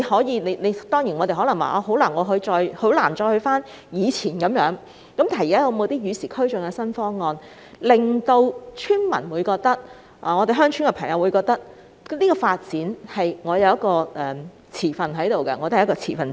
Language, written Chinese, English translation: Cantonese, 現在可能很難一如以往般處理，但可有與時俱進的新方案，令村民或居住在鄉村的人士認為自己也是發展方案的持份者？, It may not be easy to adopt the same practices as before to deal with the matter now but are there new options that can keep pace with the times so that villagers or rural residents will consider themselves stakeholders too in the relevant development plan?